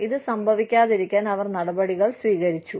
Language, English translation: Malayalam, They took steps, to prevent this, from happening